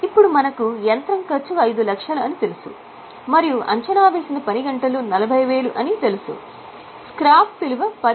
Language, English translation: Telugu, If the cost of machine is 5 lakhs and estimated working hours are 40,000, scrap value is 10,000